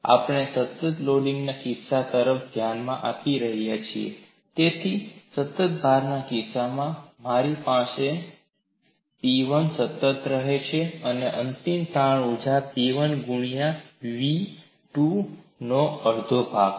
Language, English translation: Gujarati, Mind you, we are looking at a case of constant loading, so in the case of a constant load, I have P1 remains constant, so the final strain energy is half of P 1 into v2